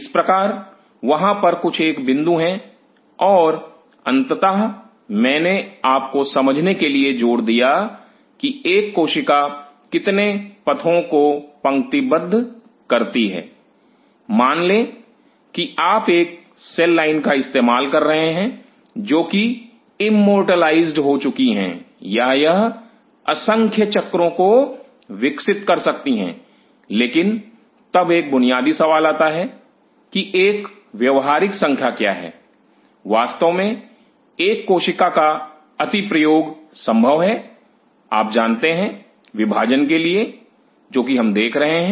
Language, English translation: Hindi, So, these are some of the points and finally, I insisted you to understand that how many passages a cell lines; suppose you are using a cell line which has been immortalized or it can grow n number of cycles, but then to a fundamental question come; what is a practical number, really a cell can be use over possible you know division; what we are ritualizing